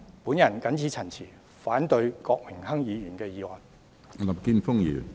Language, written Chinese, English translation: Cantonese, 我謹此陳辭，反對郭榮鏗議員的議案。, With these remarks I oppose the motion proposed by Mr Dennis KWOK